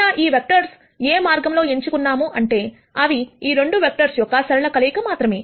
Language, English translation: Telugu, However, these vectors have been picked in such a way, that they are only linear combination of these 2 vectors